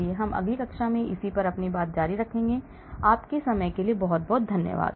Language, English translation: Hindi, So, we will continue more in the next class, thank you very much for your time